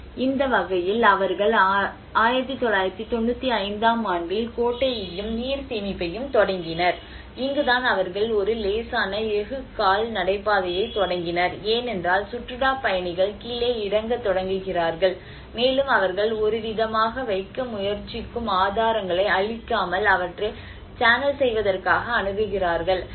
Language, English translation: Tamil, \ \ So, in that way they started the cistern as well as the water storage and 1995, this is where they started about a mild steel footbridge because the tourists start pumping down and in order to channel them without destroying the evidence that is where they try to keep some kind of access